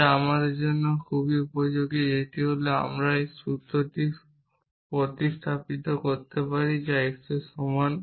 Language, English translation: Bengali, We can produce the formula which is very useful for us which is that I can instantiate this formula by substituting x equal to this